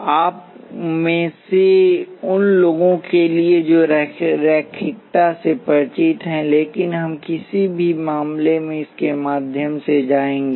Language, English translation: Hindi, For those of you familiar with linearity, but we will go through it in any case